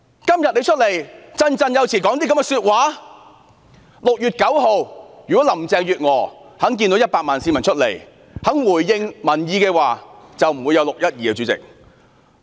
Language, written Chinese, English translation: Cantonese, 主席，如果林鄭月娥在6月9日看到有100萬名市民上街後肯回應民意，便不會有"六一二"事件。, President if Carrie LAM had listened to the people after the 1 million - strong protest on 9 June the 12 June incident would not have happened